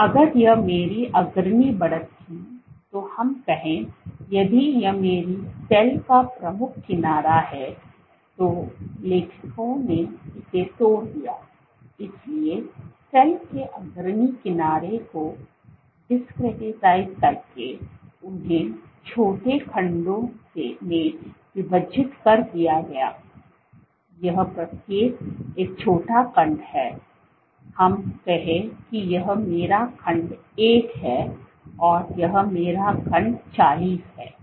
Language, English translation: Hindi, So, if this was my leading edge let us say, if this is my leading edge of the cell, what the authors did was they broke it down so the discretized the leading edge of the cell into small segments each of this is a small segment let us say this is my segment one and this is my segment 40